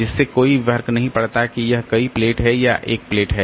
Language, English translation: Hindi, So, it does not matter whether it is one plate or many plate